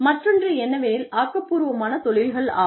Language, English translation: Tamil, Another thing is the creative industries